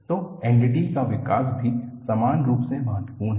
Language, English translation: Hindi, So, N D T development is also equally important